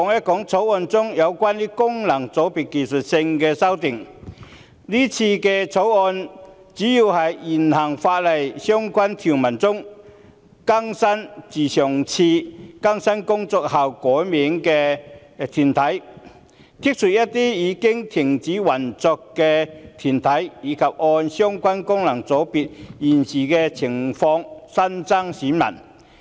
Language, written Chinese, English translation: Cantonese, 今次《條例草案》建議的主要修訂，包括在現行法例的相關條文中，更新自上次更新工作後改名的團體；刪除一些已停止運作的團體；以及按相關功能界別現時的情況新增選民。, The major amendments proposed in this Bill include to update the names of corporates specified under relevant sections of the existing legislation that have had their names changed since the last updating exercise; to remove some corporates which have ceased operation; and to add new electors in the light of the prevailing situation of the FCs concerned